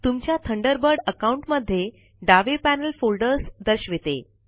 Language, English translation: Marathi, The left panel displays the folders in your Thunderbird account